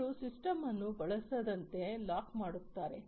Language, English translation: Kannada, So, they will lock the system from being used